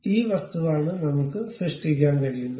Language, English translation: Malayalam, This is the way we can create that object